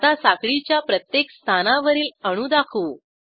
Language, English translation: Marathi, Lets now display atoms at each position on the chain